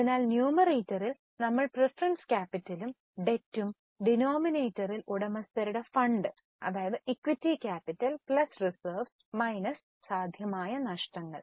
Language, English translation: Malayalam, So, in the numerator we consider the preference capital plus debt and the denominator we see the owner's fund that is equity capital plus reserves minus any possible losses